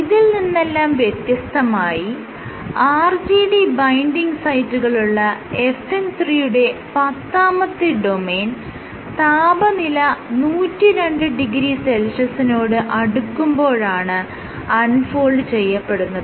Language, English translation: Malayalam, Similarly, tenth domain of FN 3 which contains the RGD binding sites, unfolds at, denatures at 102 degree Celsius